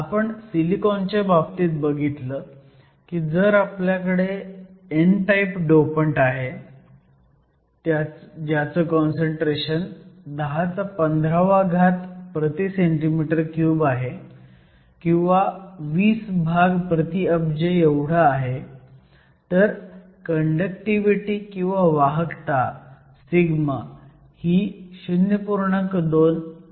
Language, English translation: Marathi, So, we saw for silicon, if I had an n type dopant with 10 to the 15 atoms per centimeter cube which was approximately 20 parts per billion, your conductivity sigma went up to around 0